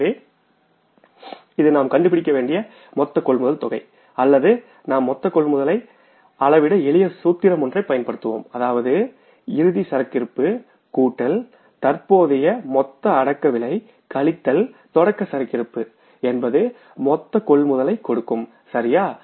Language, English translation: Tamil, So this is the total amount of the purchases we had to find out or we have found out and the simple formula for finding out the amount of purchases is closing inventory plus cost of goods to be sold in the current period minus opening inventory will give you the amount of purchases